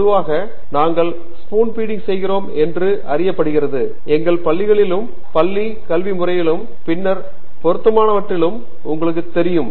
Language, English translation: Tamil, Generally, it is known that we have been used to spoon feeding; you know most of our schools, schooling system and later on